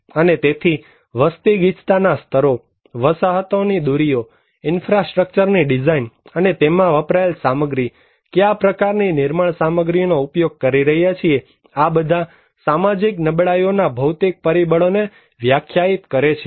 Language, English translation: Gujarati, And so, population density levels, remoteness of the settlements, design and material used for critical infrastructures, what kind of building materials we are using so, these all define the physical factors of social vulnerability